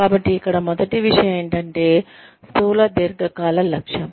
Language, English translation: Telugu, So, the first thing here is, a macro long range objective